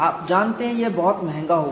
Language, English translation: Hindi, You know that would be very expensive